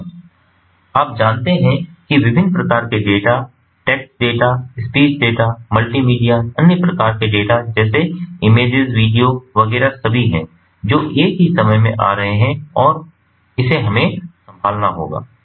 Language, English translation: Hindi, there are different types of data: test data, speech data, multimedia, other types of data like images, video, etcetera, all of which coming at the same time